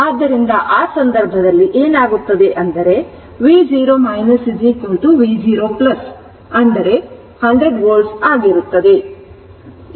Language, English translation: Kannada, So, in that case what will happen v 0 minus is equal to v 0 plus, that will be your 100 volt